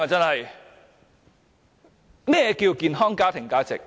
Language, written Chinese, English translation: Cantonese, 何謂健康家庭價值？, What are healthy family values?